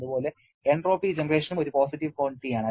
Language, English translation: Malayalam, Similarly, entropy generation is also a positive quantity